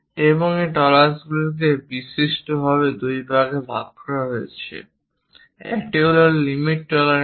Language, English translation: Bengali, And these tolerances are broadly divided into two parts one is limit tolerances, where we show the dimension 2